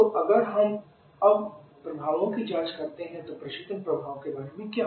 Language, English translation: Hindi, So if you check the effects now, what about the refrigeration effect